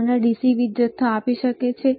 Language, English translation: Gujarati, Can it give you DC power supply